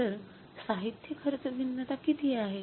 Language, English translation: Marathi, So, what is the material cost variance